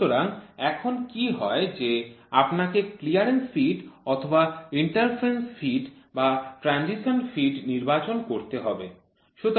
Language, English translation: Bengali, So, what happens is now when you have to choose a clearance fit or an interference fit or a transition fit